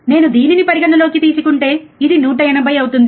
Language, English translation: Telugu, If I consider this one this will be 180